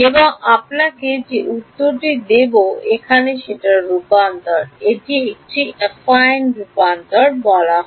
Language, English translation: Bengali, So, I will give you the answer turns out there is a transformation from here to here and it is called an Affine transformation